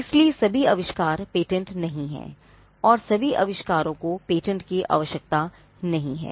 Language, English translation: Hindi, So, not all inventions are patentable, and not all inventions need patents